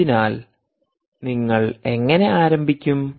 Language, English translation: Malayalam, so how do you start